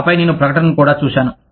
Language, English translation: Telugu, And then, I saw the advertisement